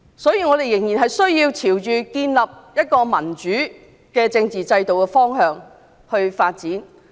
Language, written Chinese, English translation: Cantonese, 因此，我們仍須朝着建立民主政治制度的方向發展。, Thus we must still move towards a democratic political system